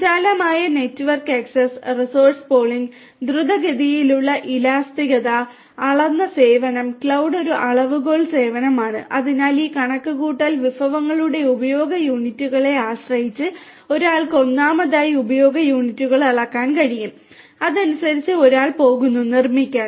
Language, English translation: Malayalam, Broad network access, resource pooling, rapid elasticity, measured service, cloud is a measured service so depending on the units of usage of this computation resources one will first of all one will be able to measure the units of use and then accordingly one is going to be built